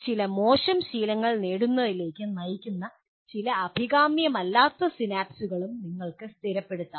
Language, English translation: Malayalam, You may also stabilize some undesirable synapses which leads to acquiring some bad habits